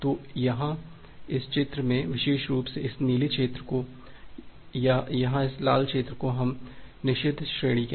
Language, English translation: Hindi, So here in this diagram this, particular zone this blue zone or here this red zone we call is a forbidden range